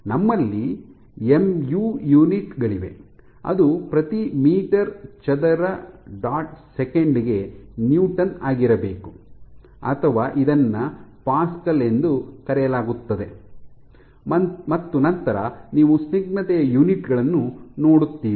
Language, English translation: Kannada, So, we have units of mu has to be newton per meter square * second or this is called Pascal second you see units of viscosity